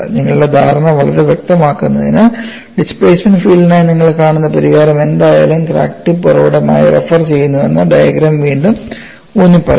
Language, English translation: Malayalam, In order to make your understanding very clear, the diagram re emphasizes that whatever the solution you see for the displacement field is referred to crack tip as the origin